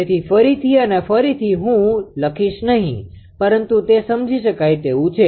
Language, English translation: Gujarati, So, again and again I will not write, but understandable